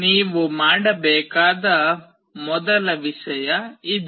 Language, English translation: Kannada, This is the first thing you need to do